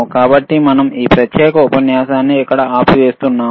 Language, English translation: Telugu, So, we will we will we will we will stop this particular lecture here